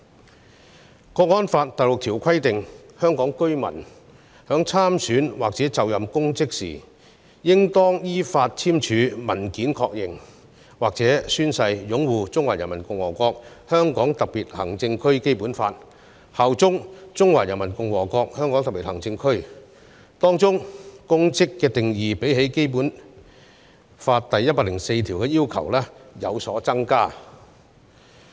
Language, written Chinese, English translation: Cantonese, 《香港國安法》第六條規定，香港居民在參選或就任公職時，應當依法簽署文件確認或宣誓擁護《中華人民共和國香港特別行政區基本法》和效忠中華人民共和國香港特別行政區，當中有關公職的定義，較《基本法》第一百零四條的要求更高。, Article 6 of the National Security Law stipulates that a resident of the [HKSAR] who stands for election or assumes public office shall confirm in writing or take an oath to uphold the Basic Law of the Hong Kong Special Administrative Region of the Peoples Republic of China and swear allegiance to the Hong Kong Special Administrative Region of the Peoples Republic of China in accordance with the law where the definition of public office is more demanding than that set out in Article 104 of the Basic Law